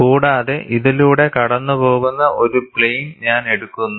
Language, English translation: Malayalam, And, let me put a plane passing through this